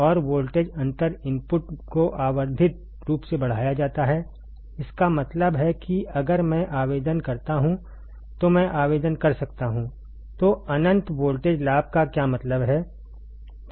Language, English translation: Hindi, And the voltage difference the input is magnified infinitely that means, that if I apply if I apply